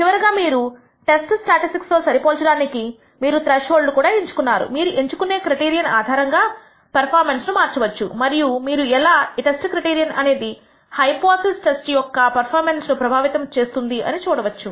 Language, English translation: Telugu, Finally, you also choose a threshold against which you are comparing the test statistic and therefore, you can alter the performance based on the criterion that you select, and we will see how this test criterion affects the performance of the hypothesis test